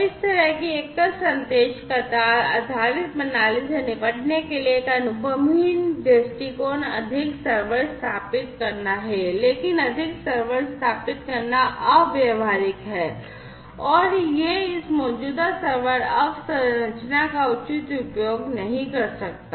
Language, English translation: Hindi, So, a naive approach to deal with this kind of single message queue based system is to install more servers, but installing more servers is impractical, and it might also lead to not proper utilization of this existing server infrastructure